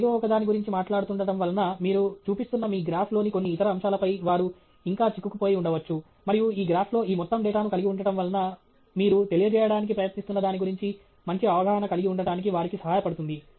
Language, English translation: Telugu, Because you may be talking about something, they may be still stuck on some other aspect of your the graph that you are showing, and having all this data on that graph really helps them have a better sense of what you are trying to convey okay